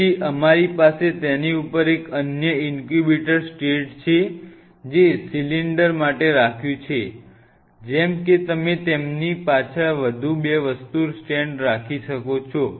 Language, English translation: Gujarati, So, we have another in incubator stat on top of it you have said to cylinders hoped up here like this all recommend you have two more stand by behind them